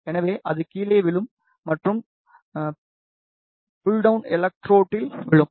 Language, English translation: Tamil, So, it will fall down and it will fall to the pull down electrode